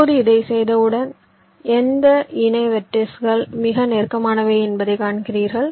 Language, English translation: Tamil, now, once you do this, ah, ah, you see that which pair of vertices are the closest